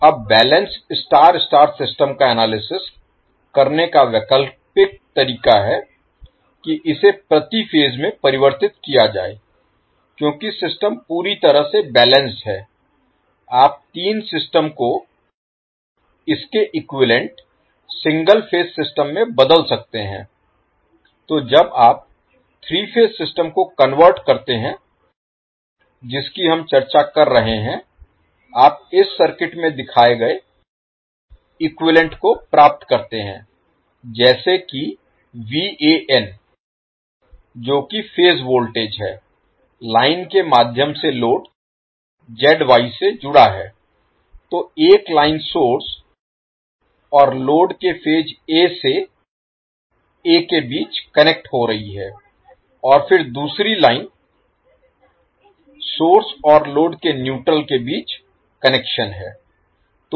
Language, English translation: Hindi, Now alternative way of analyzing the balance star star system is to convert it into per phase because the system is completely balanced you can convert the three system to its equivalent single phase system, so when you convert the three phase system which we are discussing then you get the equivalent circuit as shown in this slide here the VAN that is phase voltage is connected to the load ZY through the line, so one is line connecting between phase A to A of the source and load and then another line is for connection between neutral of the source and load